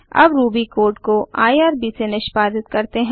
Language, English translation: Hindi, Now let us execute our Ruby code through irb